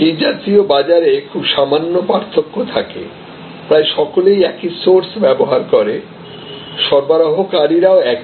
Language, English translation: Bengali, In such markets, there is a very little distinction almost everybody uses a same source, the suppliers are the same